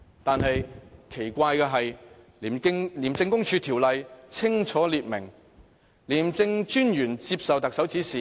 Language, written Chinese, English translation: Cantonese, 但是，奇怪的是，《廉政公署條例》清楚訂明，廉政專員接受特首指示。, But there is one interesting point here . The Independent Commission Against Corruption Ordinance lays down that the Commissioner takes instruction from the Chief Executive